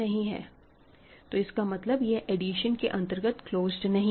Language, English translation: Hindi, Also it is not closed under addition